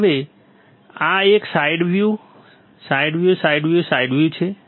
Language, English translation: Gujarati, Now, this one is side view, side view, side view, side view